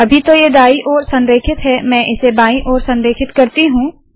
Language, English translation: Hindi, Right now it is right aligned let me make them left aligned